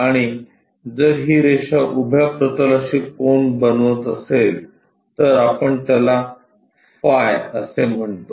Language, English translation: Marathi, And, if this line making an angle with the vertical plane, then we call it phi or phi